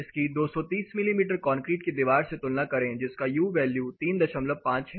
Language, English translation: Hindi, Compare this is was the concrete wall 230 mm which has U value of 3